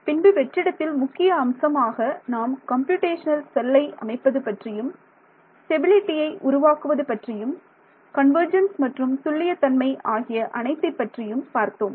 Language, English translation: Tamil, So, far in vacuum looked at the main thing how do you set up the computational cell, how do you look at stability, how do you look at convergence and accuracy all of those things right